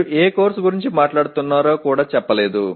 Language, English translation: Telugu, It does not even say which course you are talking about